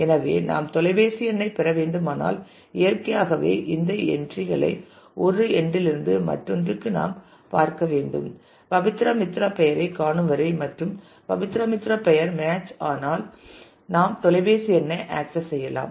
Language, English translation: Tamil, So, if we have to get the phone number, then naturally we have to look at all these entries from one end to the other till we come across Pabitra Mitra match the name Pabitra Mitra and we can access the phone number